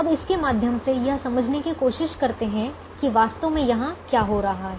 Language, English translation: Hindi, now let's try to understand what is actually happening here through through this